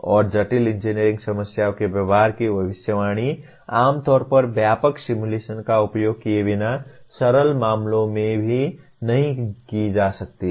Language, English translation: Hindi, And prediction of behavior of complex engineering problems generally cannot be done even in the simpler cases without using extensive simulation